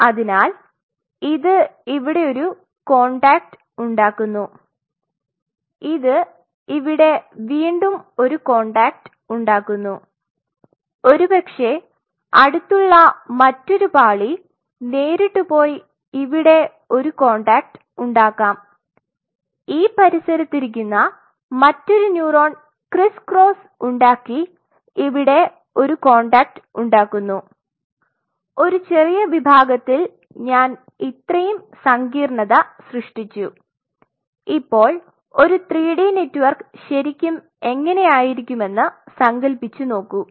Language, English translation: Malayalam, So, this is forming a contact here, this one is forming further a contact here, maybe another layer in the nearby me directly go and form a contact here, another neuron sitting in this vicinity make criss cross and form a contact here we just look at the complexity and just in a small section I am putting up the complexity is now imagining that how really a 3 D network will really look like